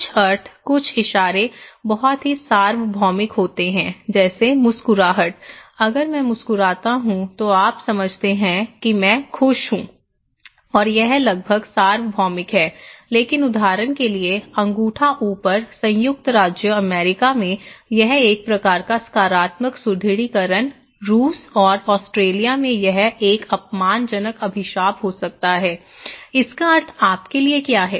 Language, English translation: Hindi, Some meanings, some gestures are very universal like smile, if I smile you understand I am happy, okay and it is almost universal but for example, the thumbs up, okay in United States, it is a kind of positive reinforcement, in Russia and Australia it could be an offensive curse for this one, what is the meaning of this one to you okay